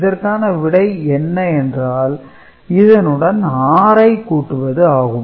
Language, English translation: Tamil, So, 6 is getting added